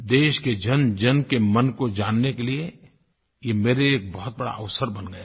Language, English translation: Hindi, This has become a great opportunity for me to understand the hearts and minds of one and all